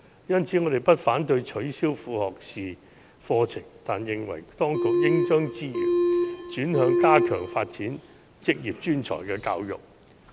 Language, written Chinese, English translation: Cantonese, 因此，我們不反對取消副學士課程，但認為當局應將資源轉向加強發展職業專才教育。, Hence we do not oppose scraping associate degree programmes . However we consider it necessary for the authorities to divert the resources to stepping up the development of vocational and professional education and training